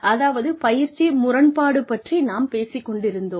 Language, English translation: Tamil, We were talking about training paradox